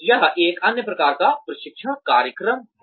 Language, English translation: Hindi, That is another type of training program